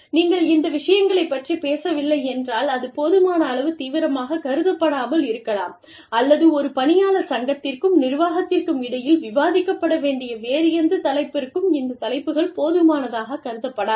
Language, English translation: Tamil, if, you are not talking about these things, then it may not be considered, serious enough, or, it may not be considered, appropriate enough, for these topics to be, for any other topic, to be discussed, between an employee